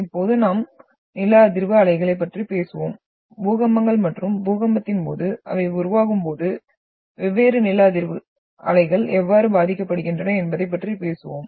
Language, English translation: Tamil, Now we will talk about the seismic waves, we will talk about the earthquakes and how different seismic waves are affecting when they are produced during the an earthquake